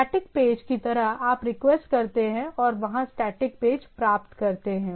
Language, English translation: Hindi, Like static page, you request and get the static page there